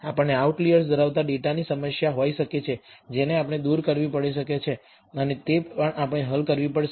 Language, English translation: Gujarati, We also may have a problem of data containing outliers which we may have to remove, and that also we have to solve